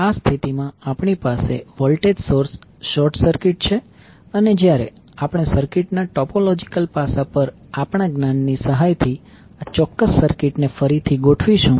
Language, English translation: Gujarati, So that voltage source will be the short circuited and when we will rearrange this particular circuit with the help of our knowledge on topological aspect of the circuit